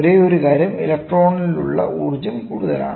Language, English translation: Malayalam, The only thing is the energy which is there in the electrons is higher, ok